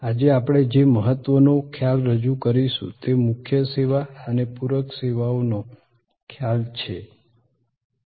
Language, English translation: Gujarati, The important concept that we will introduce today is this concept of Core Service and Supplementary Services